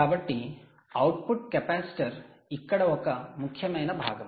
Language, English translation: Telugu, ok, so the output capacitor is an important component here